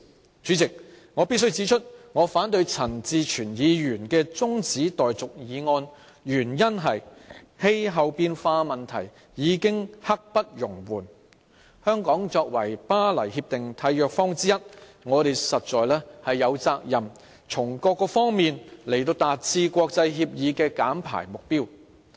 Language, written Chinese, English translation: Cantonese, 代理主席，我必須指出，我反對陳志全議員提出中止待續議案的原因，是氣候變化問題已經刻不容緩，香港作為《巴黎協定》的締約方之一，實在有責任從各方面達致這項國際協議的減排目標。, Deputy President I must point out that the reason I oppose the motion for adjournment moved by Mr CHAN Chi - chuen is that the threat of climate change is imminent . As a signatory of the Paris Agreement Hong Kong is obliged to attain the emission reduction target set by this international agreement from different perspectives